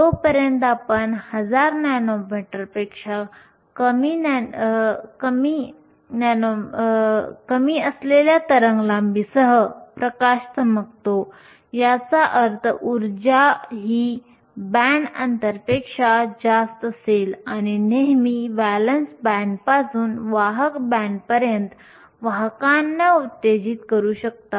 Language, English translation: Marathi, As long as we shine light with a wavelength that is less than 1,000 nanometers, which means the energy will be higher than the band gap you can always excite carriers from the valence band to the conduction band